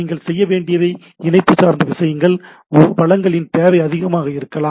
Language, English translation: Tamil, Once you have to do for a connection oriented the resource requirement may be high